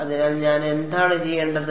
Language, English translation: Malayalam, So, what would I have to do